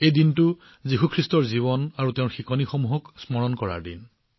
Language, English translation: Assamese, It is a day to remember the life and teachings of Jesus Christ